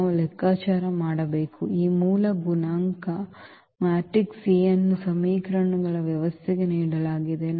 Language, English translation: Kannada, We have to compute the; this original coefficient matrix A which was given for the system of equations